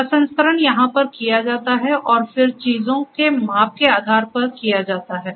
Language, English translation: Hindi, The processing is done over here and then, based on the measurements of how things are